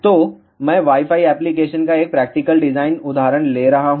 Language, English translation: Hindi, So, I am taking a practical design example of Wi Fi application